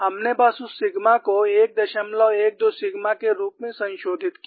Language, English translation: Hindi, We simply modified that sigma as 1